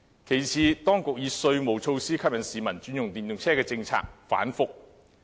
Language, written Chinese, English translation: Cantonese, 其次，當局以稅務措施吸引市民轉用電動車的政策反覆。, Besides the authorities policy to attract people to switch to EVs by means of tax measures is rather erratic